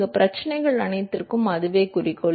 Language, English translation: Tamil, That is the objective for all of these problems